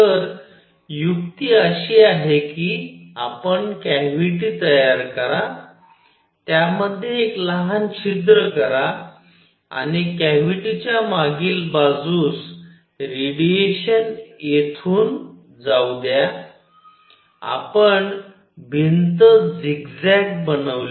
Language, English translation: Marathi, So, the trick is you make a cavity, make a small hole in it and let radiation go in from here on the back side of the cavity, you put zigzag wall